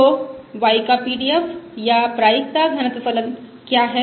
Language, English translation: Hindi, So what is the PDF, or Probability Density Function of y